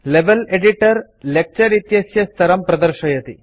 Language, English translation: Sanskrit, The Level Editor displays the Lecture Level